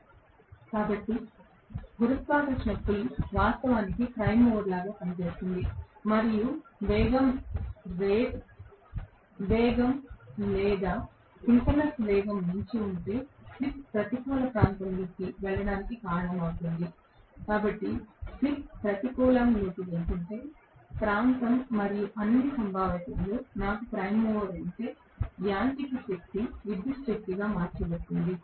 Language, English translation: Telugu, So, the gravitational pull is actually acting like a prime mover, and if the speed goes beyond whatever is the rated speed or synchronous speed that is going to cause the slip to go into the negative region, and if the slip is going into the negative region, and if I have a prime mover in all probability, the mechanical energy will be converted into electrical energy right